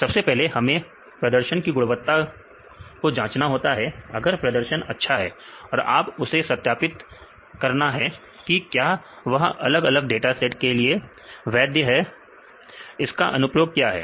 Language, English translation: Hindi, First, we need to access the performance once your performance is good then you need to validate whether this is valid for different sets of data that we will explain and the applications